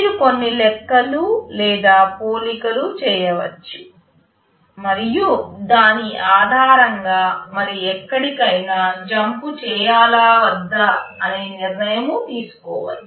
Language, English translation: Telugu, You can make some calculations or comparisons, and based on that you can take your decision whether to jump somewhere else or not